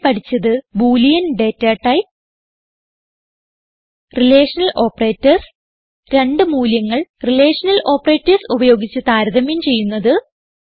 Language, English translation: Malayalam, In this tutorial, we will learn about the the boolean data type Relational operators and how to compare data using Relational operators